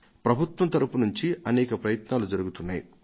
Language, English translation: Telugu, There are many efforts being made by the government